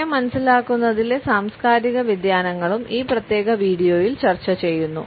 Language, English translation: Malayalam, The cultural variations in the perception of time are also discussed in this particular video